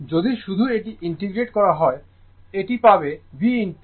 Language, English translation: Bengali, If you just integrate this, you will get it is V into I